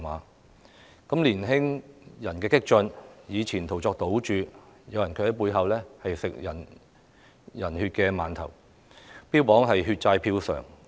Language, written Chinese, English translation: Cantonese, 當激進的年青人以前途作賭注的同時，有人卻在背後吃人血饅頭，標榜"血債票償"。, While radical youngsters staked their future some people eat buns dipped in human blood and advocated that debts of blood should be repaid by ballots